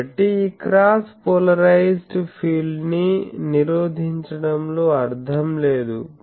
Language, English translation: Telugu, So, there is no point of preventing this cross polarized field